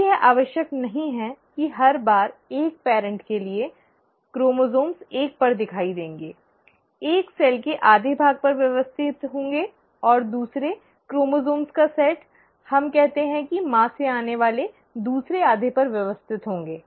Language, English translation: Hindi, Now it is not necessary that every time the chromosomes for one parent will appear at one, will arrange at one half of the cell, and the other set of chromosome, let us say coming from mother will arrange at the other half